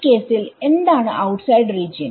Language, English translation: Malayalam, In this case what is the outside region